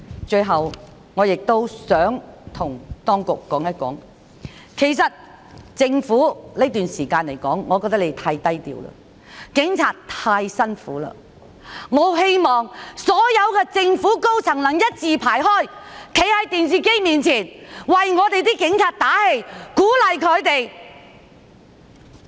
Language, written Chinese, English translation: Cantonese, 最後，我亦想向當局說，政府在這段時間實在太低調了，警察太辛苦了，我很希望所有政府高層的官員能一字排開，在電視機前為警察打氣，鼓勵他們。, Young people can have a future . Finally I would like to tell the Government that its approach has been too low key these days and the Police have endured much hardship . I very much hope that senior officials of the Government can stand in a row to give the Police some support and encouragement on television